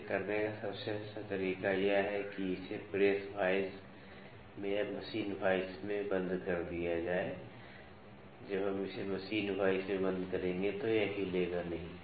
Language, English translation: Hindi, The best way to do it is to lock it in a press vice or in a machine vice we will when we will lock it in machine vice it will not move